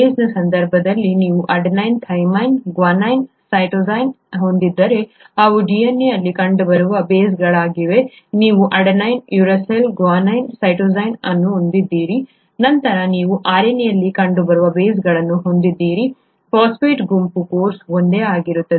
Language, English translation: Kannada, In the case of a base you have, if you have adenine, thymine, guanine, cytosine, those are the bases found in DNA, you have adenine, uracil, guanine, cytosine, then you have the bases found in the RNA, the phosphate group of course is the same